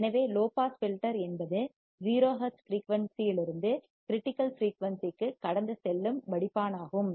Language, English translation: Tamil, So, a low pass filter is a filter that passes frequency from 0 hertz to the critical frequency